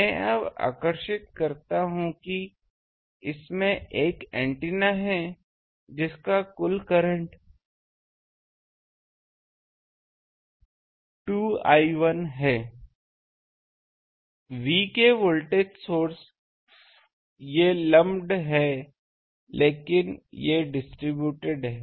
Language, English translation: Hindi, I can now draw it has an antenna that total current is 2 I 1 here, voltage source of V these are lumped but these are distributed